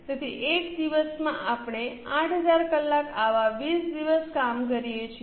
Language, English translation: Gujarati, So, in one day we work for 8,000 hours, such 20 days we work